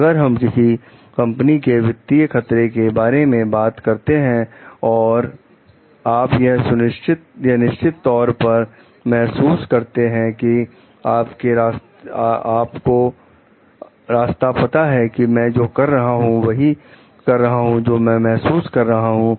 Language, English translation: Hindi, Like if we talks of financial risk for your company, and if you truly feel like you know the way that I am doing, the way that I am feeling